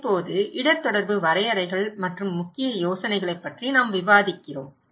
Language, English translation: Tamil, Now, we are discussing about the risk communication definitions and core ideas